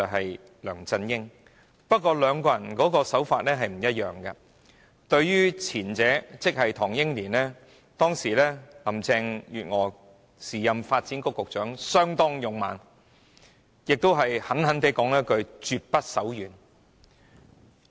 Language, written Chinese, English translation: Cantonese, 不過，林鄭月娥對兩宗個案的處理手法並不一致，對於涉及唐英年的個案，時任發展局局長的她相當勇猛，而且狠狠地說了一句"絕不手軟"。, Nevertheless the approaches adopted by Carrie LAM in handling the two cases are not consistent . With regard to the case concerning Henry TANG she as the then Secretary for Development was very aggressive and has bluntly said that she would show no mercy